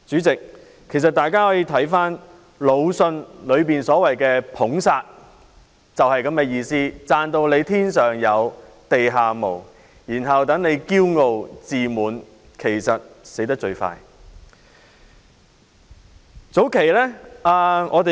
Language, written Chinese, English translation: Cantonese, 代理主席，魯迅所謂的"捧殺"就是這樣的意思，把人讚得"天上有、地下無"，他就會驕傲、自滿，其實就會最快喪命。, Deputy President as Mr Lu Xun has put it excessive praises can kill . If someone is praised to the skies he will become arrogant and complacent and he will actually be the first to lose his life